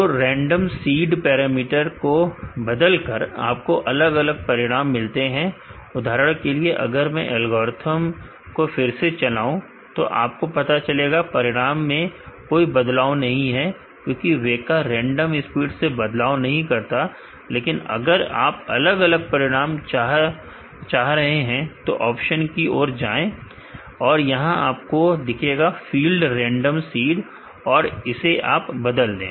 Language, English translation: Hindi, So, by changing the random seed parameter, you will get different results for example, normally if I run the algorithm again you will find the results are do not change because, WEKA does not change the random seed, in case you want to get different results go to more option, you will see a field random seed change it